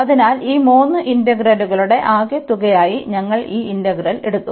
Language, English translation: Malayalam, So, we have taken this integral as a sum of these three integrals